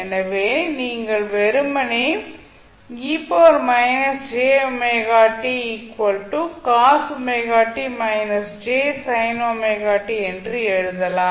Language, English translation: Tamil, So, what we can simply write